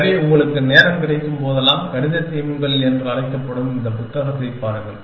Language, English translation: Tamil, So, you must whenever you get time, look at this book call mathematical themes